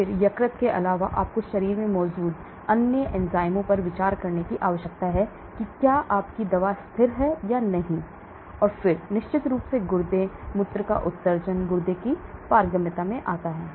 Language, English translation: Hindi, Then apart from liver, you need to consider other enzymes present in the body whether your drug gets stable or not, and then of course the kidney, the urine excretion comes into the kidney permeability all those coming together